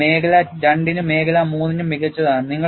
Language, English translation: Malayalam, This accounts for region two and region three better